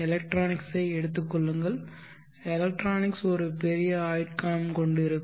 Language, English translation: Tamil, Take the electronics, electronics may also have a large life span